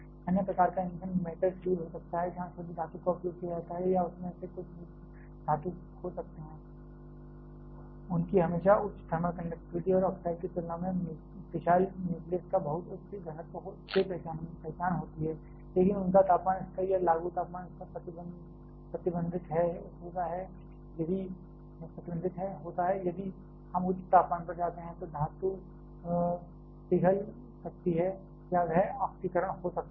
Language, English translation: Hindi, Other kind of fuel can be the metal fuel where using the pure metal itself or may be some alloy of that, their always characterized by much higher thermal conductivity and also very high density of fissile nucleus compared to the oxides, but their temperature level or applicable temperature level is restricted, if we go to higher temperature the metal may melt or it may get oxidizes